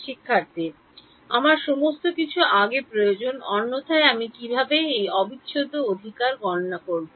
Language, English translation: Bengali, I need everything before otherwise how will I calculate this integral right